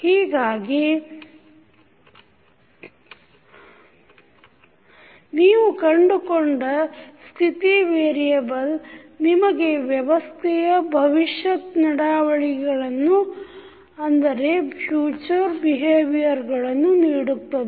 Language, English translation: Kannada, So, that means the state variable which you find will give you the future behaviour of the system